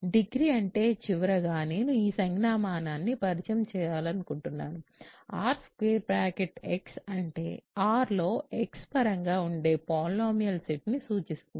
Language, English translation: Telugu, So, degree is that and finally, I want to introduce this notation R square bracket x stands for the set of polynomials in x over R